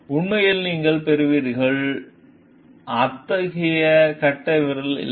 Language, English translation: Tamil, And actually you get there is on, no such thumb